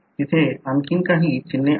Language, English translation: Marathi, There are more symbols